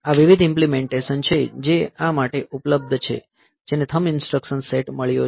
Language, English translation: Gujarati, So, these are various implementations that are available for this that has got the thumb instruction set